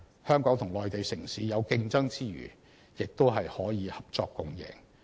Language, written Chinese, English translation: Cantonese, 香港與內地城市有競爭之餘，也可合作共贏。, While competing with each other Hong Kong and Mainland cities may also have some win - win cooperation